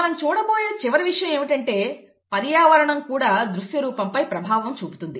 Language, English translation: Telugu, The last thing that we are going to see is that even the environment could have an impact on the phenotype, okay